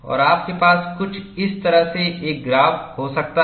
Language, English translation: Hindi, And you could have a graph something like this